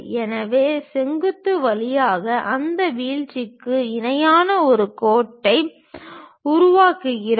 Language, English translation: Tamil, So, we construct a line parallel to that dropping through vertical